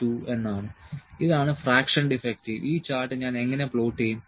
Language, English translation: Malayalam, 2, this is would the fraction defective how will I plot this chart